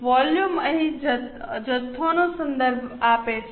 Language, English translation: Gujarati, Volume here refers to quantity